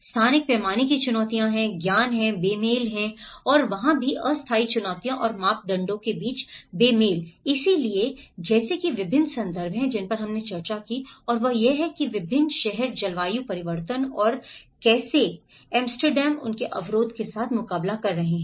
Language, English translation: Hindi, There are spatial scale challenges, there are knowledge mismatches and there also the temporary challenges and mismatches between norms so like that there are various contexts which we discussed and that is where how different cities are coping up with the climate change and how Amsterdam, how their barrier